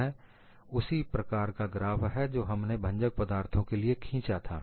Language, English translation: Hindi, This is again a similar graph that we had drawn for a brittle material